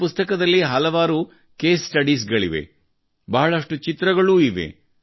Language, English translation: Kannada, There are many case studies in this book, there are many pictures